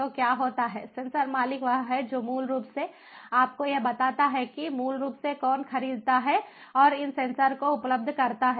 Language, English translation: Hindi, so what happens is the sensor owner is the one who basically makes these, ah, you know, who basically procures and makes these sensors available